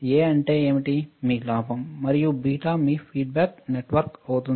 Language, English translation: Telugu, What is A, is your gain; and beta is your feedback network right